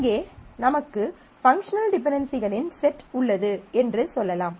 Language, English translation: Tamil, So, it is a minimal set of functional dependencies